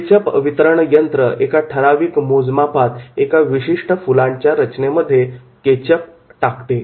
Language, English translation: Marathi, Ketchup dispensers provide measured amount of products in the requisite flower pattern